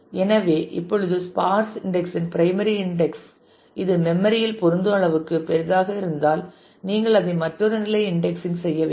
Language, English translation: Tamil, So, if now in turn the outer index the sparse index of the primary index also is too large to fit in memory then you need to do yet another level of indexing on it and